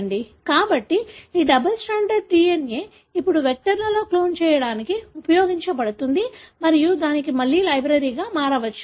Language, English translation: Telugu, So, this double stranded DNA can now be used to clone into vectors and that can be made again into library